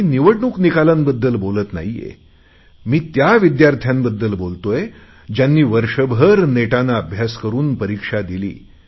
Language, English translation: Marathi, and I am not talking about election results… I am talking about those students who slogged for the entire year, those of 10th and 12th Class